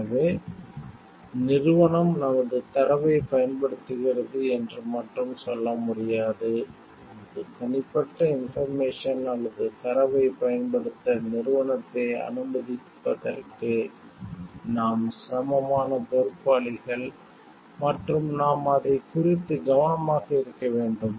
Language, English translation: Tamil, So, we cannot just tell the company is using our data, we are equally responsible for letting the company use our private information, or data and we need to be careful about it